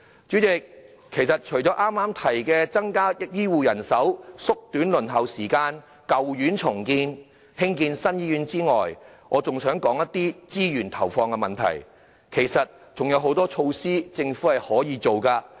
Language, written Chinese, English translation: Cantonese, 主席，其實除剛剛提到的增加醫護人手、縮短輪候時間、現有醫院重建、興建新醫院外，我還想說資源投放的問題，其實政府仍可以實行很多措施。, President besides increasing the healthcare manpower shortening the waiting time redeveloping the existing hospitals and building new ones which I have just suggested I would also like to talk about the issue of resource allocation . In fact the Government can implement many other measures